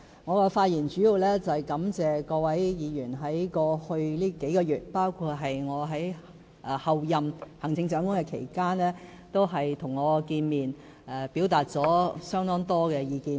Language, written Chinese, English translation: Cantonese, 我的發言主要想感謝各位議員在過去數個月，包括在我仍是候任行政長官期間，與我見面，表達了相當多意見。, First and foremost I would like to thank Members for meeting me and providing me with quite a lot of comments during the past few months including the time when I was the Chief Executive - elect